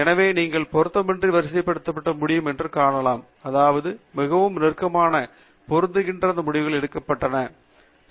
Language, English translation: Tamil, So you can see that you can sort by relevance, which means that those results that are very closely matching will be picked up and there are various other types of sorting also